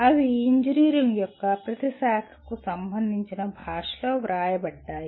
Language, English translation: Telugu, They are written in a language that every branch of engineering can relate itself to